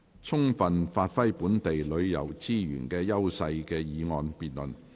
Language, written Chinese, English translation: Cantonese, "充分發揮本地旅遊資源的優勢"的議案辯論。, The motion debate on Giving full play to the edges of local tourism resources